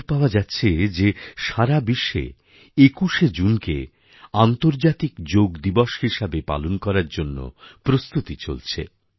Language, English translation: Bengali, The news being received these days is that there are preparations afoot in the whole world to celebrate 21st June as International Yoga Day